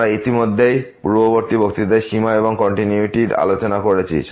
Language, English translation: Bengali, We have already discussed in the previous lecture Limits and Continuity